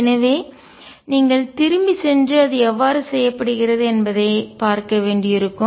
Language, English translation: Tamil, So, you may have to go back and see how it is done